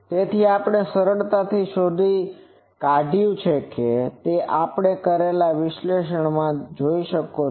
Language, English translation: Gujarati, So, we have found easily you see from the analysis that we have done